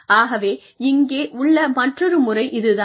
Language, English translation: Tamil, So, that is the other method here